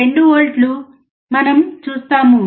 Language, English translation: Telugu, 2 volts at the output